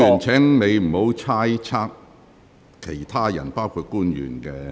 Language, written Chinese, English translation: Cantonese, 請委員不要猜測其他人，包括官員的......, I urge Members not to speculate about others including government officials